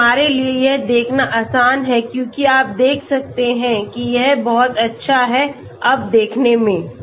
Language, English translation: Hindi, So it is easy for us to view as you can see it is very nice to view now okay